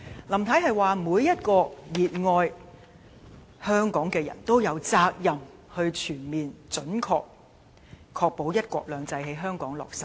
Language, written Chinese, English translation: Cantonese, 林太說，每一個熱愛香港的人都有責任全面準確地確保"一國兩制"在香港落實。, Mrs LAM said that everybody with a passion for Hong Kong has the responsibility to ensure that here in Hong Kong one country two systems advances in the right direction